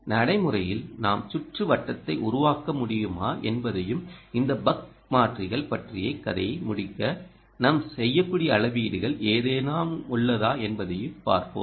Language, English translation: Tamil, let see in practice whether we can build the circuit and whether there is any measurement that we can do so that we can complete the story on ah, these buck converters